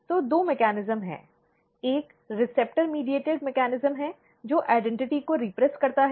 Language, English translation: Hindi, So, basically there is there are two mechanism, which is receptor mediated mechanism which repress the identity